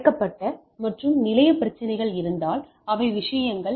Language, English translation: Tamil, So, if there are hidden and expose station problems which are things